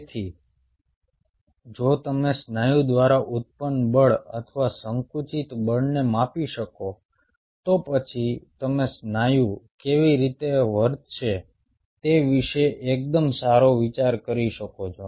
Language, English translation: Gujarati, so if you could measure the force or contractile force generated by the muscle, then you could have a fairly good idea about how the muscle will behave